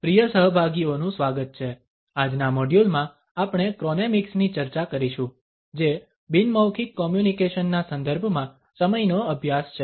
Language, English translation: Gujarati, Welcome dear participants, in today’s module we shall discuss Chronemics which is a study of time in the context of nonverbal communication